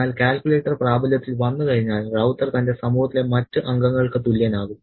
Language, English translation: Malayalam, But once the calculator has come into play, Ravutha becomes equal to the rest of the members in his society